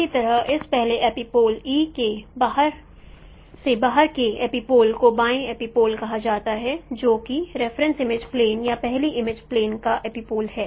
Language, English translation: Hindi, Similarly the epipoles out of this first epipole e is considered the left epipole that is just the epipole on the reference image plane or first image plane